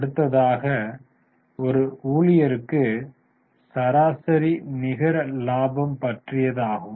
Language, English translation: Tamil, The next is average net profit per employee